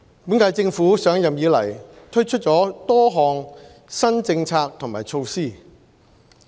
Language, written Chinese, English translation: Cantonese, 本屆政府上任以來，推出了多項新政策和措施。, The current - term Government has introduced a number of new policies and measures since its inauguration